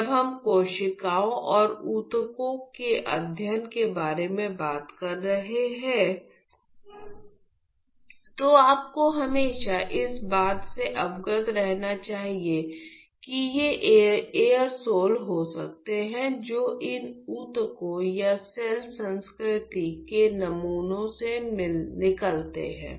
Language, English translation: Hindi, So, when we are talking about studying cells and tissues you should always be aware that that could be aerosols which are emanated from these tissues or cell culture samples